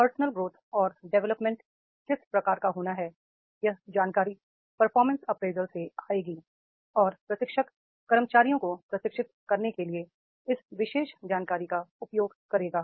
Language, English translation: Hindi, And to what type of the personal growth and development is to be there, that information will come from performance appraisal and a trainer will use this particular information for the training the employees